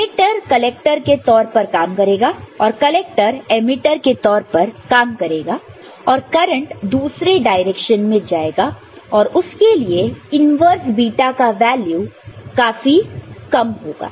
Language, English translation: Hindi, This emitter will work as a collector and this collector will work as an emitter and the current will be going in the other direction – right; and for that the inverse beta will be very small value, ok